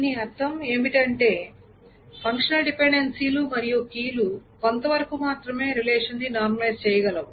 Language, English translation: Telugu, So what it essentially means is that the functional dependencies and the keys can normalize the relation only up to a certain extent